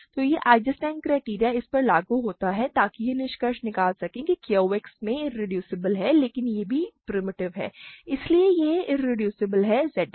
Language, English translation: Hindi, So, this Eisenstein criterion applies to this to conclude this is irreducible in Q X, but this is also primitive, so this is irreducible is Z X